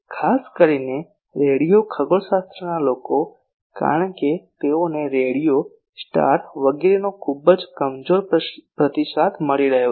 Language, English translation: Gujarati, Particularly radio astronomy people, because they are getting very feeble response from a radio star etc